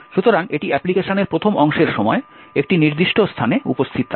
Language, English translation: Bengali, So, this is present at a particular location during the first part of the application